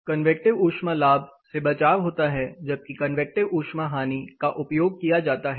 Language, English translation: Hindi, The convective heat gain is prevented where as convective heat losses are entertained